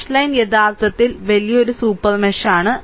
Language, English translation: Malayalam, So, dash line is a actually larger super mesh